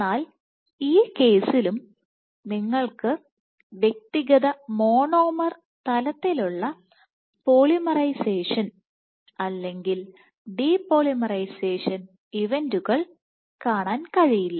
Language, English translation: Malayalam, So, then this entire thing will turn red in this case also you cannot see individual monomer level polymerization or de polymerization events